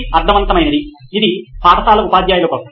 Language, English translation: Telugu, Makes sense, this is for school teachers